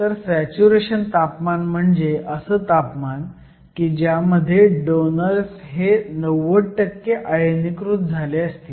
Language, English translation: Marathi, So, the saturation temperature is defined as the temperature in which the donors are 90 percent ionized